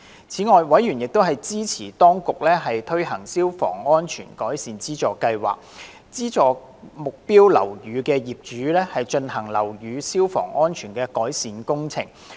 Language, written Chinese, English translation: Cantonese, 此外，委員支持當局推行消防安全改善資助計劃，資助目標樓宇的業主進行樓宇消防安全改善工程。, In addition members supported the launching of the Fire Safety Improvement Works Subsidy Scheme to subsidize owners of target buildings in undertaking improvement works to enhance the fire safety of these buildings